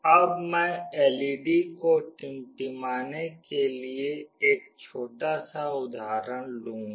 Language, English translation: Hindi, Now, I will take a small example to blink an LED